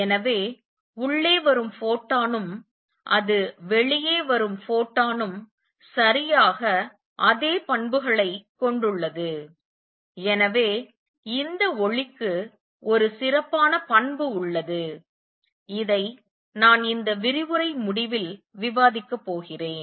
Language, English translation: Tamil, So, photon that is coming in has exactly the same properties that is the photon that makes it come out, and therefore, this light has special property which I will discuss at the end of this lecture